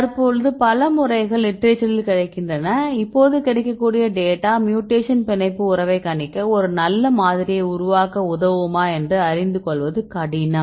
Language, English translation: Tamil, And currently there are several methods are available in the literature right, but now the available amount of data we can make a good model for predicting the binding affinity of our mutation right